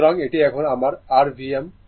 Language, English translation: Bengali, So, this is my your V m now